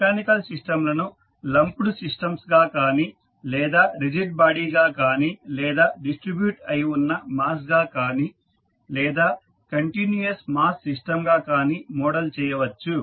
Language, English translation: Telugu, So, the mechanical systems may be modeled as systems of lumped masses or you can say as rigid bodies or the distributed masses or you can see the continuous mass system